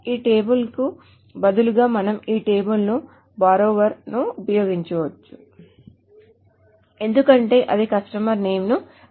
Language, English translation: Telugu, So instead of this table, we may use this table, the borrower, because that contains the customer name